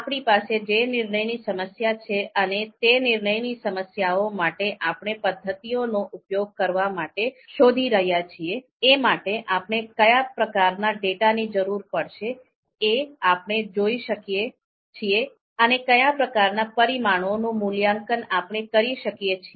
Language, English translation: Gujarati, So given the decision problem that we have and given the method that we are looking to you know apply for that decision problem, what kind of data would be required, what kind of input would be required, and what kind of parameters have to be evaluated